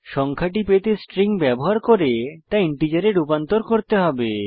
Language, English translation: Bengali, To get the number, we have to use a string and convert it to an integer